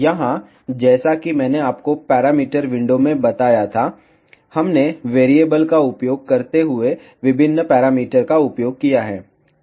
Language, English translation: Hindi, Here, ah as I told you in that parameter window, we have used various parameters using variables